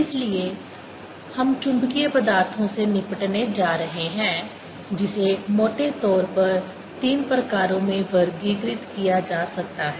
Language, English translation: Hindi, so we are going to deal with magnetic materials, which can be broadly classified into three kinds